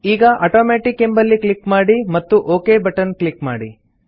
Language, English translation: Kannada, Now click on the Automatic option and then click on the OK button